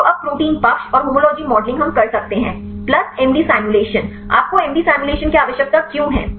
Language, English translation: Hindi, So, now protein side and homology modeling we can do; plus MD simulations, why do you need MD simulation